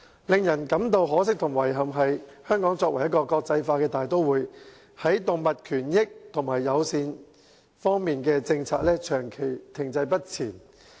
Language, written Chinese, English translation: Cantonese, 令人感到可惜和遺憾的是，香港作為國際大都會，在動物權益和友善方面的政策，長期停滯不前。, It is sad and regrettable that Hong Kong an international metropolis has long been stuck in the mud when it comes to animal rights and animal - friendly policies